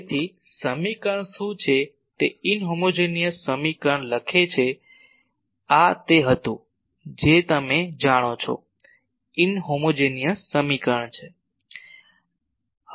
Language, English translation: Gujarati, So, what is the equation write the inhomogeneous equation this was our you know inhomogeneous equation